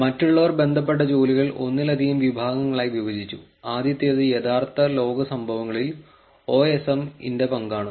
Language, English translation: Malayalam, Others broke the related work into multiple categories, the first one is the role of OSM, during real world events